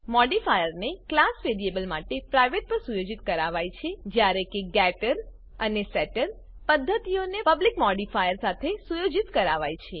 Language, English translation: Gujarati, The modifier for the class variable is set to private whereas the getter and setter methods are generated with public modifier